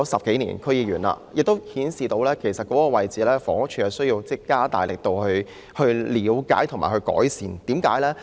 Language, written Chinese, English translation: Cantonese, 當了區議員10多年，我發現房屋署有需要加大力度了解和解決問題。, Having served as a District Council member for some 10 years I find that HD needs to work harder to look into and resolve the problems